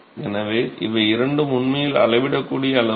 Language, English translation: Tamil, So, these two are actually measurable quantities